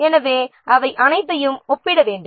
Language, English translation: Tamil, So, all those things they have to be compared